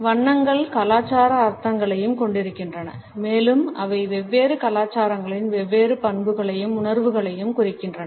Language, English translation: Tamil, Colors also have cultural meanings and they represent different traits and perceptions in different cultures